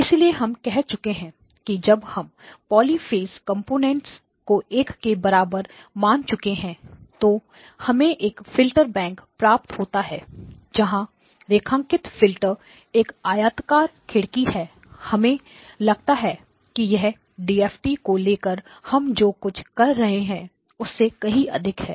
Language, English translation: Hindi, And therefore we said that if we set these polyphase components to be equal to one each of these polyphase components then we actually get a filterbank where the underlying filter is a rectangular window and it turns out and we showed that this is pretty much what we are doing when we take the DFT or the IDFT for that matter